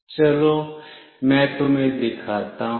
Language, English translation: Hindi, Let me show you